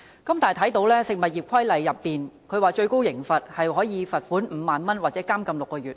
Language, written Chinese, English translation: Cantonese, 根據《食物業規例》，最高刑罰是罰款5萬元或監禁6個月。, According to the Food Business Regulation the maximum penalty is a fine of 50,000 or imprisonment of six months